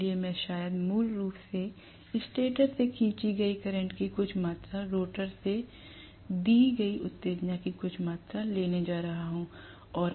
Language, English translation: Hindi, So I am probably going to have basically some amount of current drawn from the stator, some amount of excitation given from the rotor